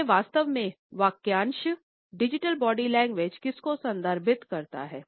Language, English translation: Hindi, So, what exactly the phrase digital body language refers to